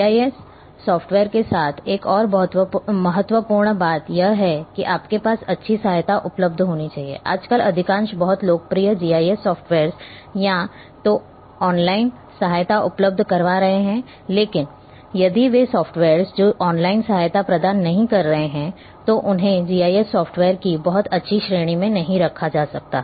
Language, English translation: Hindi, Another very important thing with GIS software is that you should have good help available, nowadays most of the very popular GIS softwares are having either online help or offline help available through the, but if the softwares which are not providing online help then they I would not put them in a very good category of GIS softwares